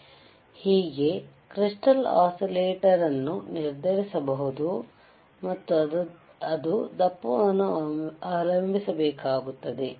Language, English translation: Kannada, So, this is how the crystal frequency crystal oscillator frequency is determined and it has to depend on the thickness